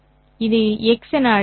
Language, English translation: Tamil, You could have called this as x